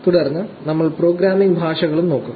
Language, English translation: Malayalam, Then, we will also look at programming language